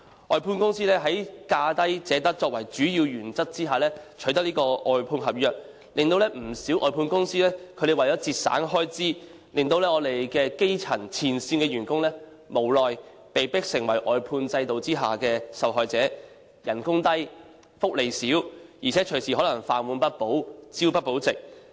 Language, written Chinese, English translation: Cantonese, 外判公司在"價低者得"作為主要原則下取得外判合約，不少外判公司為了節省開支，令前線基層員工無奈被迫成為外判制度下的受害者。他們工資低、福利少，而且可能隨時飯碗不保，朝不保夕。, When contractors are awarded contracts for outsourced service under the major principle of lowest bid wins many of them have to cut their expenditure and as a result frontline grass - roots works are helplessly made victims under the outsourcing system as they are paid only low wages with little benefit and worse still they may lose their job anytime and have to live from hand to mouth